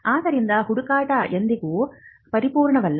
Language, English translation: Kannada, For this reason, we say that no search is perfect